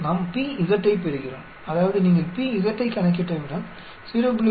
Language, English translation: Tamil, We get the p z, that is once you calculate p z the probability of 0